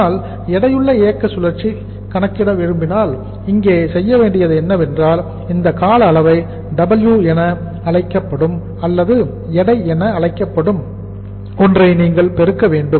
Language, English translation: Tamil, But if you want to calculate the weight operating cycle so what we have to do here is you have to multiply this duration with something which is called as W or that is called as weight